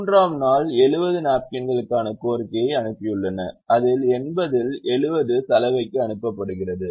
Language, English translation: Tamil, the demand on the third day for napkin is eighty, out of which seventy send to the laundry